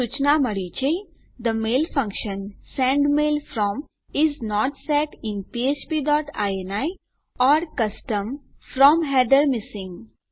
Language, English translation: Gujarati, We have got a warning the mail function send mail from is not set in php dot ini or custom From: header missing